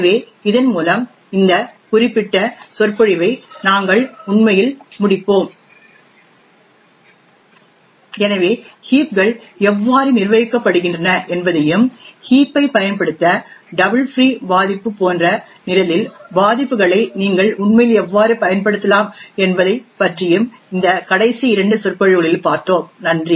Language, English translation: Tamil, So with this we will actually wind up this particular lecture, so we had seen in this last two lectures about how heaps are managed and how you could actually use vulnerabilities in the program such as a double free vulnerability to exploit the heap, thank you